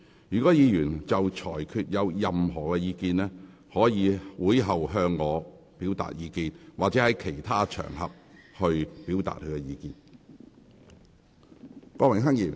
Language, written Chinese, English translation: Cantonese, 如果議員對裁決有任何意見，可以在會後向我提出，或在其他場合表達。, If Members have any views on the Presidents ruling they may raise their views with me after the meeting or express them on other occasions